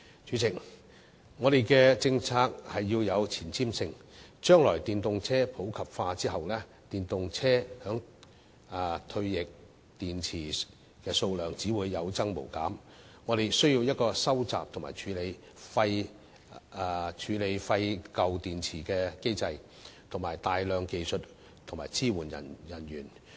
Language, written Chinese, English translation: Cantonese, 主席，我們的政策要有前瞻性，將來當電動車普及後，電動車的退役電池數量只會有增無減，我們需要一個收集和處理廢舊電池的機制及大量技術支援人員。, President our policy has to be forward - looking . When EVs become common in the future the number of retired batteries from EVs will increase . We will need a system to collect and handle these old batteries and a large number of supporting technicians